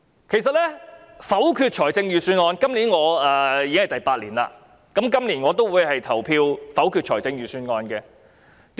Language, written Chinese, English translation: Cantonese, 我多年來否決財政預算案，今年踏入第八年，我仍然會投票否決預算案。, I have voted against the Budget for many years . Now entering the eighth year I will still do the same